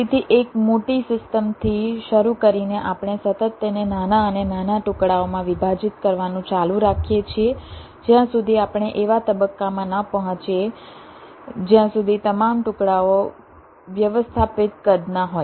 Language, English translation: Gujarati, ok, so, starting with a large system, we continually go on partitioning it in a smaller and smaller pieces until we reach a stage where all the pieces are of manageable size